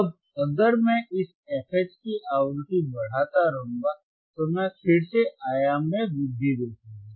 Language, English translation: Hindi, Now if I keep on increasing the voltage frequency about this f H, then I will again see the increase in the amplitude